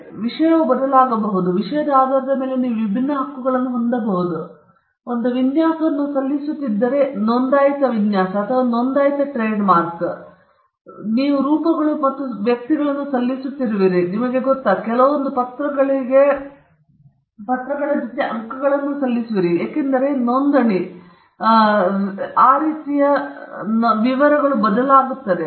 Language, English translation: Kannada, So subject matter can vary, and depending on the subject matter, you can have different rights; kind, type of registration, the details of registration also varies because if you are filing a design – a registered design or a registered trademark, you are just filing forms and figures, you know, you are just filing some papers with some marks in it, and the registry does a check, and the registry… if the check is cleared, then you get your right